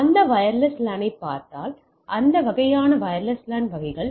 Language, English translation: Tamil, Now, if you see that wireless LAN that types of broad categories of wireless LAN